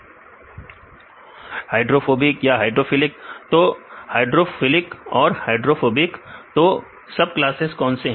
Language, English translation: Hindi, Hydrophilic hydrophobic they have the hydrophobic and hydrophilic, what are the subclasses